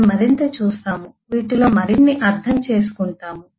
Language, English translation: Telugu, we will see more of understand more of this